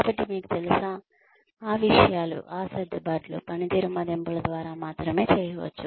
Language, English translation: Telugu, So, you know, those things, those adjustments, can only be done through performance appraisals